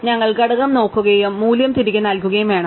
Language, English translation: Malayalam, We just have to look at component and return the value